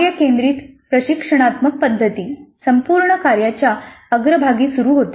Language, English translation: Marathi, The task centered instructional strategy starts with the whole task upfront